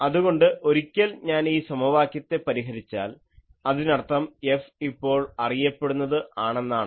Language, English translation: Malayalam, So, once I solve this equation; that means, F is now known